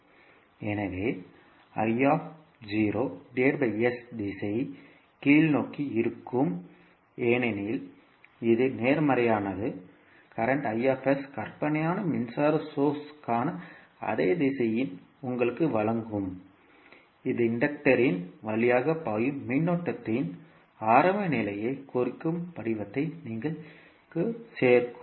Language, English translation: Tamil, So, I naught by s the direction will be downward because it is positive so, current i s will give you the same direction for fictitious current source which you will add form representing the initial condition of current flowing through the inductor